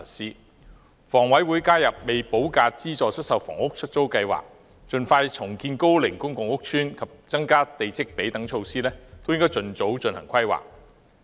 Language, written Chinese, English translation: Cantonese, 而香港房屋委員會加入"未補價資助出售房屋——出租計劃"、盡快重建高齡公共屋邨及增加地積比率等措施，均應該盡早進行規劃。, Planning for other measures such as the participation of the Hong Kong Housing Authority in the Letting Scheme for Subsidised Sale Developments with Premium Unpaid expeditious redevelopment of aged public housing estates and increasing the plot ratios should commence as soon as possible